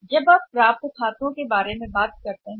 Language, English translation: Hindi, So, now we are going to talk about the accounts receivables